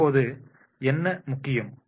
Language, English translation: Tamil, Now what is important